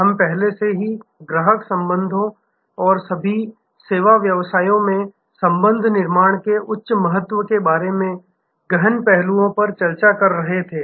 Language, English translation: Hindi, We were already discussed in depth aspects regarding customer relationship and the high importance of relationship building in all service businesses